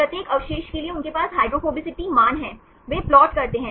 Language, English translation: Hindi, For each residue they have the hydrophobicity value, they plot